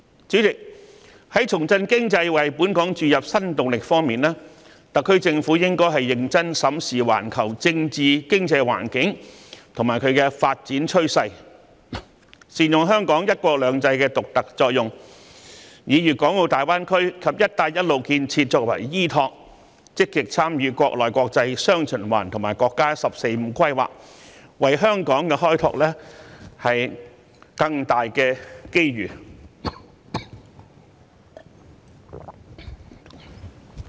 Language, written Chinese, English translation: Cantonese, 主席，在重振經濟為本港注入新動力方面，特區政府應認真審視環球政治經濟環境及發展趨勢，善用香港"一國兩制"的獨特作用，以粵港澳大灣區及"一帶一路"建設作為依托，積極參與國內、國際雙循環及國家"十四五"規劃，為香港開拓更大的機遇。, President regarding revitalizing the economy to inject new impetus into Hong Kong the SAR Government should seriously review the global political and economic environment as well as development trend make good use of the unique role of Hong Kong under one country two systems rely on the support of GBA and the Belt and Road Initiative actively participate in the domestic and international dual circulation as well as the National 14Five - Year Plan and open up greater opportunities for Hong Kong